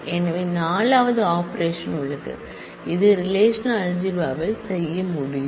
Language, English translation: Tamil, So, there is a 4th operation that one can do with the in relational algebra